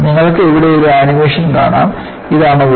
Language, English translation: Malayalam, And, you could see here in this animation, this is the crack